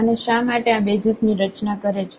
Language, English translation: Gujarati, And why this form a basis